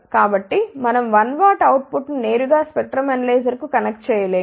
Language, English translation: Telugu, So, we cannot connect 1 watt output straight to the spectrum analyzer